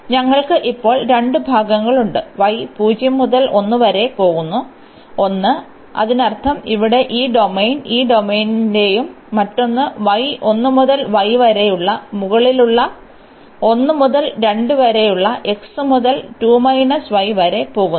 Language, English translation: Malayalam, So, we have the 2 parts now; one where y is going from 0 to 1; that means, this domain here this domain and the other one the upper one where y is from 1 to y is from 1 to 2 where the x is going from 0 to 2 minus y